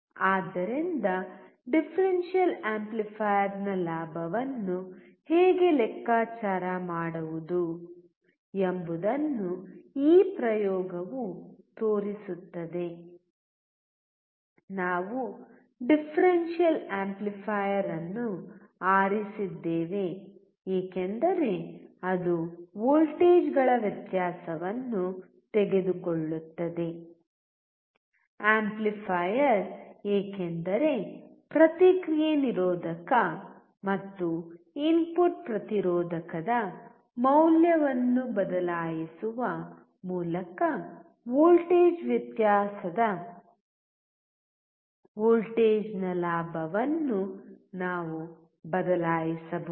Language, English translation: Kannada, So, this experiment shows how to calculate the gain of a differential amplifier; we chose differential amplifier because it takes a difference of voltages; amplifier because we can change the gain of the voltage that is difference of voltage by changing the value of feedback resistor and the input resistor